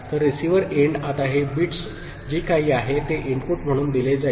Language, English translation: Marathi, So, receiver end now these bits, whatever is there will be given as input